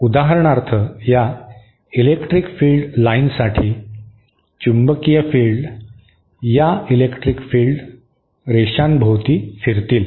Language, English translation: Marathi, So, for example for these electric field lines, the magnetic fields will be rotating about these electric field lines